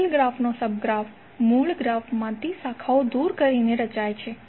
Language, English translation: Gujarati, Sub graph of a given graph is formed by removing branches from the original graph